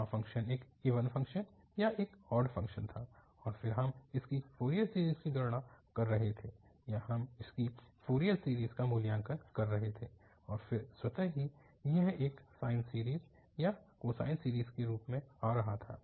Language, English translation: Hindi, So there the function was an even function or an odd function and then we were computing its Fourier series or we were evaluating its Fourier series and then automatically it was coming as a sine series or cosine series